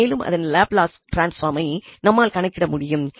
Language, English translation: Tamil, And now we will focus on Laplace transform again